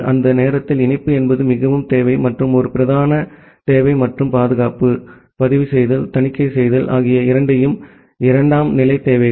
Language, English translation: Tamil, And during that time connectivity was the utmost requirement and a prime requirement and security, logging, auditing all these things where the secondary requirements